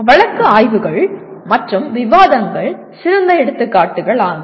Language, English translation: Tamil, Case studies and discussions are the best examples